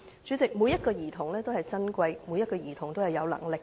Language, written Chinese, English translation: Cantonese, 主席，每名兒童也是珍貴的，亦是有能力的。, President every child is a treasure with capabilities